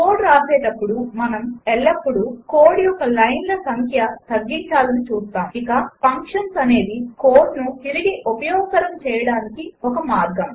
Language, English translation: Telugu, While writing code, we always want to reduce the number of lines of code, and functions is a way of reusing the code